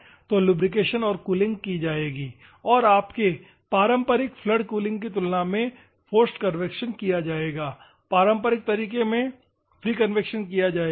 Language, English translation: Hindi, So, lubrication and cooling will be done and forced convection will be done compared to your conventional flood cooling where free convection will be taken